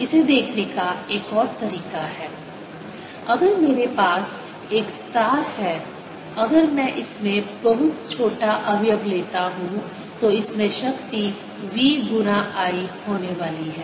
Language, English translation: Hindi, another way to look at it is: if i have a wire and if i take a very small element in this, then the power in this is going to be v times i